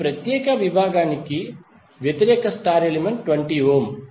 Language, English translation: Telugu, For this particular segment, the opposite star element is 20 ohm